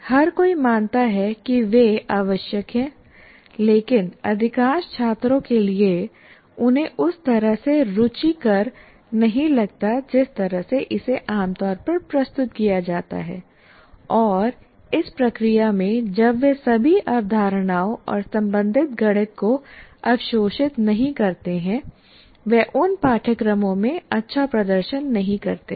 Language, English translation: Hindi, These are all, everybody considers them important and the way generally it is presented, most of the students find it not interesting enough and in the process when they do not absorb all the concepts or mathematics of that, they do not perform well in those courses